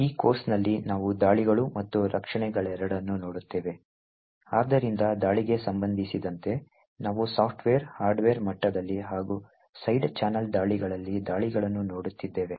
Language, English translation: Kannada, both attacks as well as defences, so with respect to the attacks we have been looking at attacks at the software, hardware level as well as side channel attacks